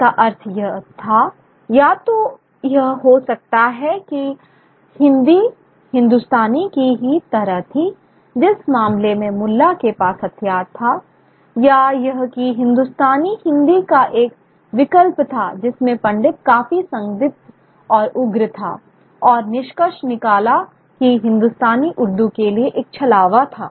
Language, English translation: Hindi, It could either mean that Hindi was the same as Hindustani, in which case the mullah was up in arms, or that Hindustani was an alternative to Hindi, in which case the Pandit, quite suspicious and Pagnacius, concluded that Hindustani was a mere camouflage for Urdu